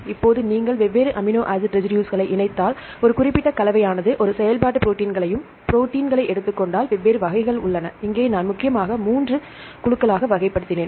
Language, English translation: Tamil, Now, if you combine different amino acid residues, a specific combination produces a functional protein and the; if you are taking the proteins, there are different types, here I mainly classified into 3 different groups